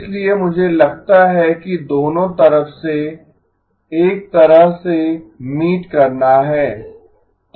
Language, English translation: Hindi, So I think a kind of meeting it from both sides